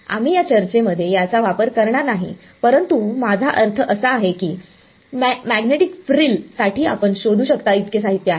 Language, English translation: Marathi, We will not be using this in this discussion, but I mean there is enough literature all that you can look up magnetic frill